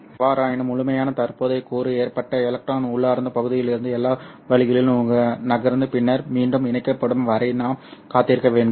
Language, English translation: Tamil, However for the complete current component to occur, we have to wait until the electron moves all the way from the intrinsic region and then gets recombined over here